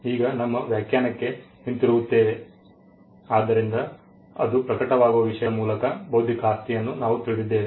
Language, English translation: Kannada, Now coming back to our definition, so we know an intellectual property by the subject matter on which it manifests itself